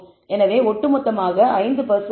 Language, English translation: Tamil, So, the overall is 5 percent